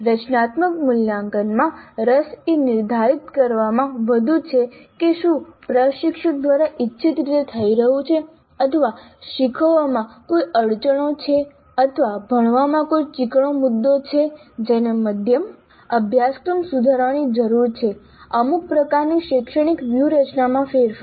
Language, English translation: Gujarati, In formative assessment the interest is more on determining whether the learning is happening the way intended by the instructor or are there any bottlenecks in learning or any sticky points in learning which require some kind of a mid course correction, some kind of a change of the instructional strategies